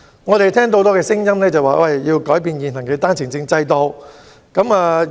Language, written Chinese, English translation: Cantonese, 我們聽到很多聲音，要求改變現行單程證制度。, We have heard a lot of voices and views asking for an overhaul of the existing One - way Permit OWP scheme